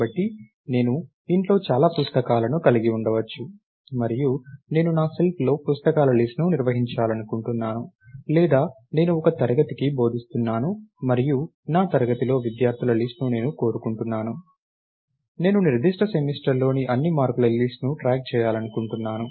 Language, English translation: Telugu, So, maybe I have a lot of books at home and I want to maintain a list of books on my shelf, or I teach a class and I want to I want a list of students in my class or even for a particular student, I want to track all the list of marks in that particular semester and so, on